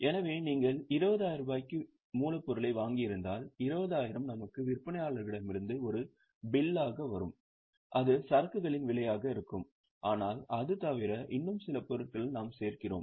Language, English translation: Tamil, So, if we have purchased raw material for 20,000, then the 20,000 which will come as a bill from our vendor, that will be the cost of inventory